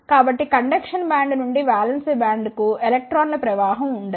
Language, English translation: Telugu, So, there will not be any flow of the electrons from the conduction band to the valence band